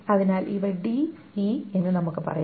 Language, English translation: Malayalam, So let us say those are d and e